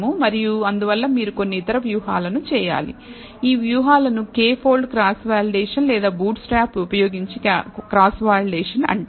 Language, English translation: Telugu, So, these strategies or what are called cross validation using a k fold cross validation or a bootstrap